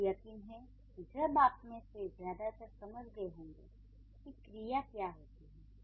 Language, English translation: Hindi, So, that is how I'm sure most of you must have understood what a verb is